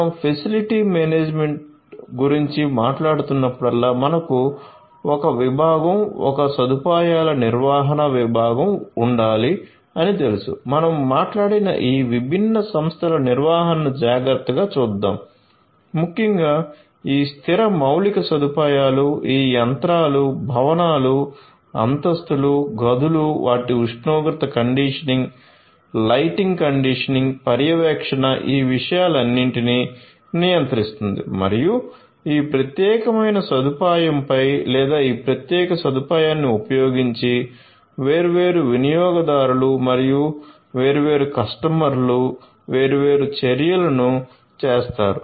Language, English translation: Telugu, So, whenever we are talking about facility management you know we need to have a department a facility management department which will take care of the management of all of these different entities that I have talked about, particularly this fixed infrastructure, these machinery, the buildings, the floors, the rooms, they are temperature conditioning, the lighting conditioning, monitoring control all of these things plus the different users and the different actors who are going to perform different actions on this particular facility or using this particular facility